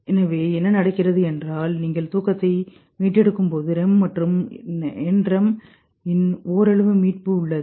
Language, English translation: Tamil, So what happens is that there is a partial recovery of REM and NREM as you recover sleep